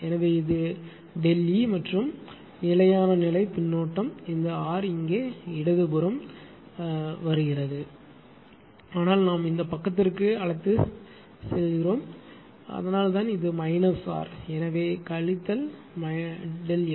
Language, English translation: Tamil, So, this is delta E and the steady state feedback this R coming here left hand side it is like this, but as we are taken to this side this side that that is why it is your what you call this way it is minus R, so minus delta F